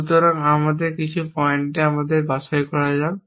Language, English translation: Bengali, So, let us say some point us on to pick up